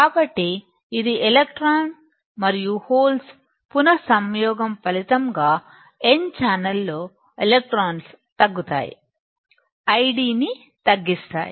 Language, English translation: Telugu, So, this will result in recombination of electrons and holes that is electron in n channel decreases causes I D to decrease